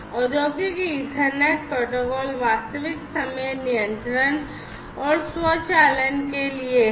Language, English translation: Hindi, So, the Industrial Ethernet protocols for real time control and automation have been proposed